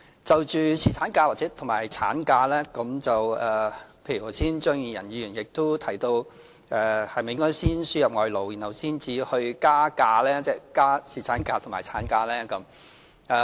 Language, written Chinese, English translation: Cantonese, 就着侍產假和產假，例如張宇人議員剛才提到，是否應該先輸入外勞，然後才去"加假"，即增加侍產假和產假。, On paternity leave and maternity leave Mr Tommy CHEUNG queried a while ago whether foreign labour should be imported before extending the duration of paternity leave and maternity leave